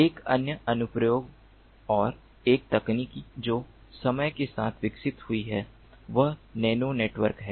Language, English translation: Hindi, another application and a technology that has evolved over time is nano networks